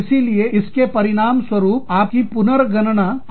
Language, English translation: Hindi, So, that can result in, your recalculation